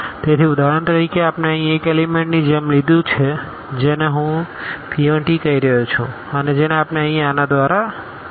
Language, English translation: Gujarati, So, for example, we have taken like one element here which I am calling p 1 t and which we can denote again here this with a’s